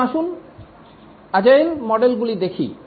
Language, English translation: Bengali, Now let's look at the agile models